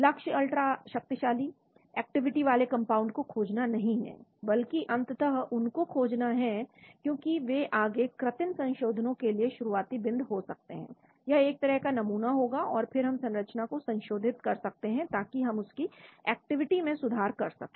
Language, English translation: Hindi, The goal is not to find compounds with ultra potent activity, but discover subsequently because they could be the starting for further synthetic modifications, that would be a sort of a lead and then we could modify the structure, so that we can improve their activity